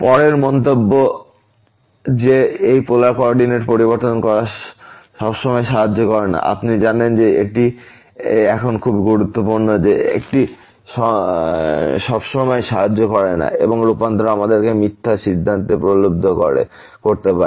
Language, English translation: Bengali, The next remark that changing to this polar coordinate does not always helps, you know this is very important now that it does not always help and the transformation may tempt us to false conclusion we will see some supporting example in this case